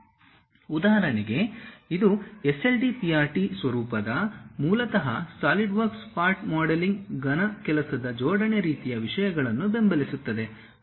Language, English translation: Kannada, For example it supports its own kind of files like SLDPRT format, basically Solidworks Part modeling, solid work assembly kind of things and so on